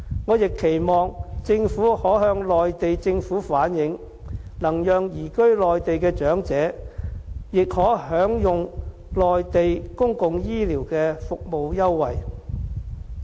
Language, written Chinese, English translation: Cantonese, 我亦期望政府可向內地政府反映，能讓移居內地的長者亦可享用內地公共醫療的服務優惠。, I also hope the Government can bring across the message of elderly people who have migrated to the Mainland to the relevant authorities that they also wish to enjoy Mainlands public health care benefits